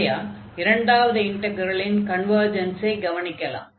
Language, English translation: Tamil, So, in that case with the second integral converges